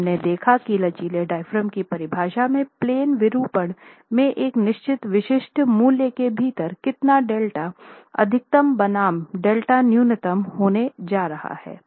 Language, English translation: Hindi, And we have seen the definition of a flexible diaphragm based on how much in plain deformation is going to happen delta max versus delta min being within a certain specific value